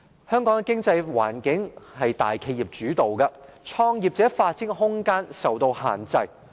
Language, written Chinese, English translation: Cantonese, 香港的經濟環境由大企業主導，創業者發展的空間受到限制。, Dominated by large enterprises the economic environment in Hong Kong provides business starters limited room for development